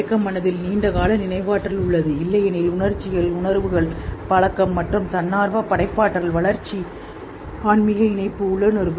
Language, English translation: Tamil, Unconscious mind has a long term memory, otherwise emotions feeling, habit, voluntary, creativity, developmental, spiritual connection, intuition